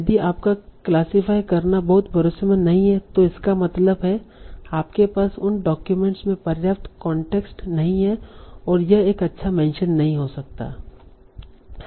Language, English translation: Hindi, If you classify is not very confident, that means you do not have sufficient context in this document and it may not be a good mention at all